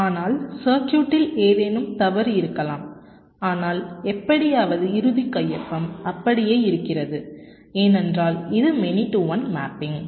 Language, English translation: Tamil, but it may so happen that there was some fault in the circuit, but somehow the sig final signature remained the same because its a many to one mapping